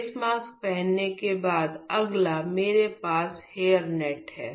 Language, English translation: Hindi, After I have worn the facemask the next thing what I am doing is I have the hairnet